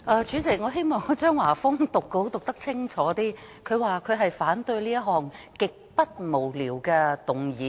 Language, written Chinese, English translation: Cantonese, 主席，我希望張華峰議員讀稿可以讀得更清楚一點，他說他反對這項"極不無聊"的議案。, President I hope that when Mr Christopher CHEUNG read from his scripted speech he could pronounce the words more clearly . Just now he said he opposed this extremely not boring motion